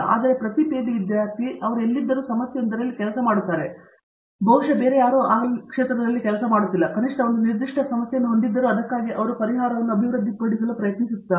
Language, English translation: Kannada, So, every PhD student wherever he is, he is working on a problem which possibly nobody else is working on, at least a particular facet of a problem, which he is uniquely trying to develop a solution for that